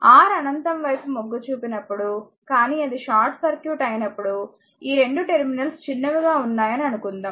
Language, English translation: Telugu, When R tends to infinity, but when it is short circuit when you short it suppose these 2 terminals are shorted